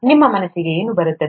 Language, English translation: Kannada, What comes to your mind